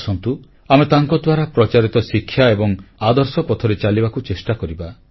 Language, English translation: Odia, Come, let us try & advance on the path of his ideals & teachings